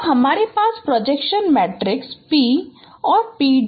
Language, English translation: Hindi, So you have projection matrices P and P prime